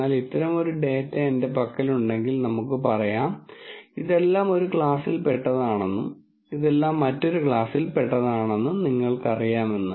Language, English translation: Malayalam, But let us say if I have data like this where you know all of this belongs to one class and all of this belongs to another class